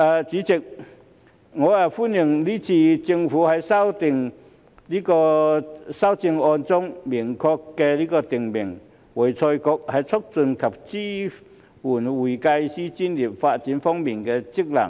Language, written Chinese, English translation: Cantonese, 主席，我歡迎這次政府在修正案中明確訂明會財局在促進及支援會計師專業發展方面的職能。, President I welcome the amendments of the Government to clearly specify AFRCs function to promote and support the development of the accounting profession